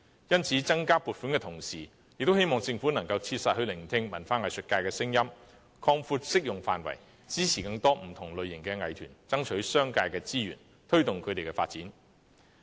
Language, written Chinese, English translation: Cantonese, 因此，增加撥款的同時，也希望政府能切實聆聽文化藝術界的聲音，擴闊適用範圍，支持更多不同類型的藝團爭取商界的資源，推動他們的發展。, For this reason I hope that while providing additional funding the Government can listen to the views of the cultural and arts sector closely and expand the scope of application to support more different types of arts groups in garnering resources from the business sector so as to promote their development